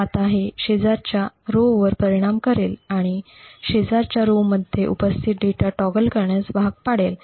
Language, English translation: Marathi, Now this would influence the neighbouring rows and force the data present in the neighbouring rows to be toggled